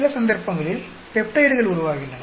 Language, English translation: Tamil, In some cases, there are peptides that are formed